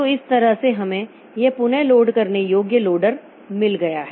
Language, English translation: Hindi, So, this way we have got this relocatable loaders